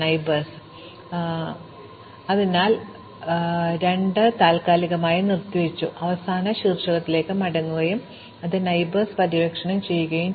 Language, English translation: Malayalam, So, we must go and we must go back to the last vertex which we suspended namely 2, and explore its neighbours